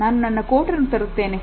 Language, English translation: Kannada, Let me get my coat